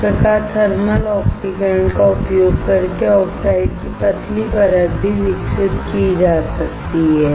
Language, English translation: Hindi, Thus, thin layer of oxides can also be grown using thermal oxidation